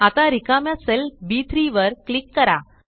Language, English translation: Marathi, Now, click on the empty cell B3